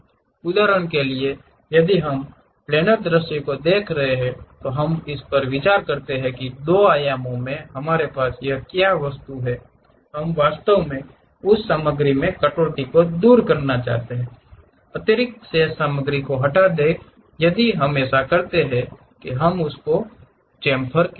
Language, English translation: Hindi, For example, if we are looking it in the planar view, let us consider this is the object what we have in 2 dimension, we want to really remove that material cut, remove the extra remaining material if we do that we call that one as chamfer